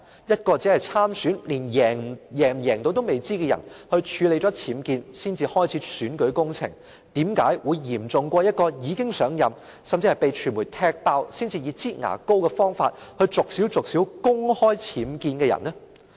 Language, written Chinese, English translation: Cantonese, 一位只是參選、不知能否勝選的人處理僭建後才開始選舉工程，為甚麼會較一名已經上任、被傳媒揭發事件才以"擠牙膏"的方式公開僭建的人嚴重？, As for a candidate who runs for an election without knowing whether he will succeed and who started his electioneering campaign only after tackling his UBWs why would his case be more severe than the case of a person who upon assumption of office disclosed information on her UBWs in a manner of squeezing toothpaste out of a tube only after the media had uncovered the incident?